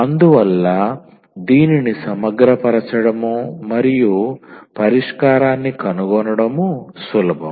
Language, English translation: Telugu, So, it was easy to integrate and find the solution